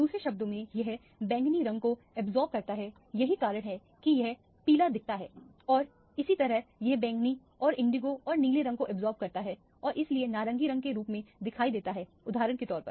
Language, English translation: Hindi, In other words, it absorbs the violet color that is why it looks yellow and similarly here it absorbs the violet and the indigo and the blue color and that is why it appears as an orange color for example